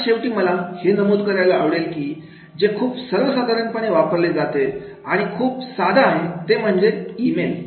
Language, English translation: Marathi, And the last I would like to mention which is very, very common and simple, that is the email